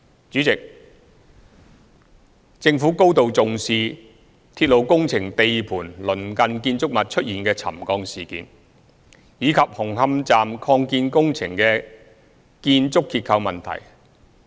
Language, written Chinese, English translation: Cantonese, 主席，政府高度重視鐵路工程地盤鄰近建築物出現的沉降事件，以及紅磡站擴建工程的建築結構問題。, President the Government attaches great importance to the settlement of buildings near the railway works sites and the building structural problems of the Hung Hom Extension works